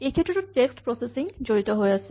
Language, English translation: Assamese, So, this also involves text processing